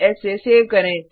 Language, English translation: Hindi, Save the file with Ctrl s